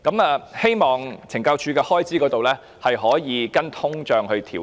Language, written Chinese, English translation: Cantonese, 我希望懲教署的開支能夠隨通脹調整。, I hope that the expenditure for CSD can be adjusted in line with inflation